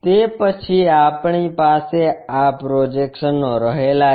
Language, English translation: Gujarati, Then, we will we can have these projections